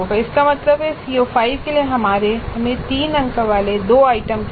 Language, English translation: Hindi, That means for CO5 we need two items three marks each